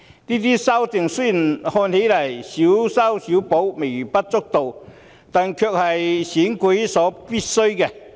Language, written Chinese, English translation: Cantonese, 這些修訂雖然看來是"小修小補"、微不足道，但卻是選舉所必需的。, These amendments are necessary for the elections although it appears that they amount to only small patch - ups and are rather trivial